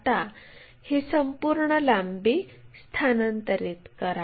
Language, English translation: Marathi, Now transfer this entire length